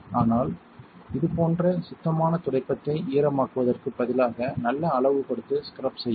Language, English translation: Tamil, But instead to wet a clean wipe like this give it a nice amount and scrub it out